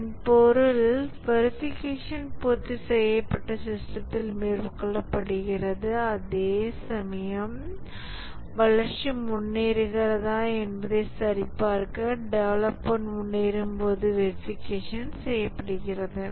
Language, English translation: Tamil, So that means the validation is carried out on the completed system, whereas verification are done as the development proceeds to check whether the development is proceeding correctly